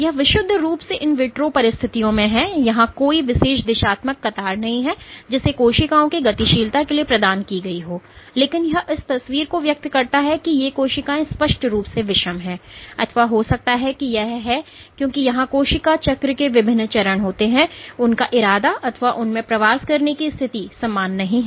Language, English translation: Hindi, So, this is purely under in vitro conditions there is no particular directional queue that has been provided for the cells to move, but it does convey the picture that these cells are intently heterogeneous or maybe it is are there because there are different stages of cell cycle, their intention or in that the tendency to migrate is not the same